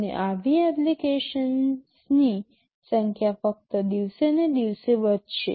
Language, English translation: Gujarati, And the number of such applications will only increase day by day